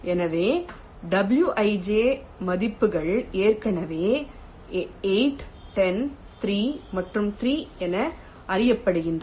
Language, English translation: Tamil, so wij values are already known: eight, ten, three and three